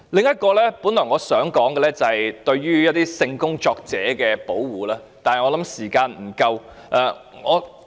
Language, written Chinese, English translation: Cantonese, 我本來還想談談對性工作者的保護，但相信時間不足。, I also wish to talk about protection for sex workers but I am afraid my speaking time is running out